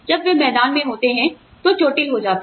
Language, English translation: Hindi, When they are in the field, they get hurt